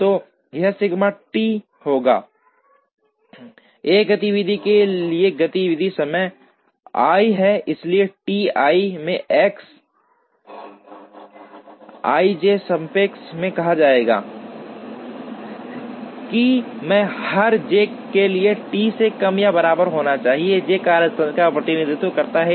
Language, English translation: Hindi, So, this would be sigma T i is the activity time for activity i, so T i into X i j summed over i should be less than or equal to T for every j, j represents the workstation